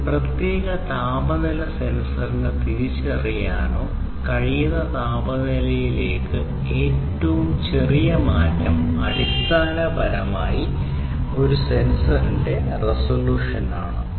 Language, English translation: Malayalam, So, the smallest change in temperature for instance that a particular temperature sensor is able to sense or detect is basically the resolution of a particular sensor